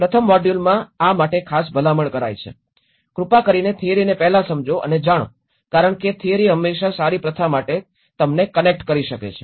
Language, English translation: Gujarati, In the first module and this recommends, please understand and know the theory first, that will because theory always can connect you to for a better practice